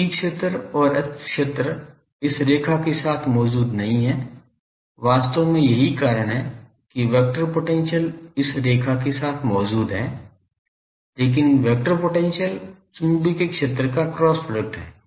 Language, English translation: Hindi, So, E field and H field does not exists along this line, actually that is why vector potential exists along this line, because vector potential is cross product of magnetic field ok